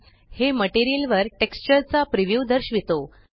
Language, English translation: Marathi, This shows the preview of the texture over the material